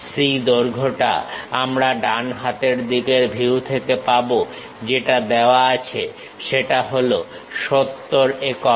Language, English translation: Bengali, The length C we will get it from the right side view, 70 units which has been given